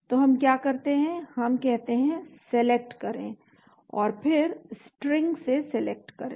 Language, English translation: Hindi, So what do we do is we say Select and then Select from String select from string